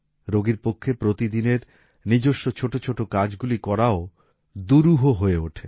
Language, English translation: Bengali, It becomes difficult for the patient to do even his small tasks of daily life